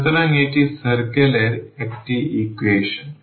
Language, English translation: Bengali, So, this is a equation of the circle